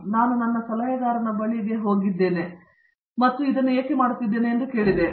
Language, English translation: Kannada, And that made me think I went back to my adviser and said, why I am doing this